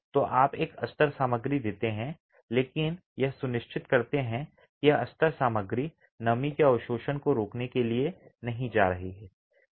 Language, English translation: Hindi, So, you give a lining material but ensure that this lining material is not going to prevent absorption of, absorption of moisture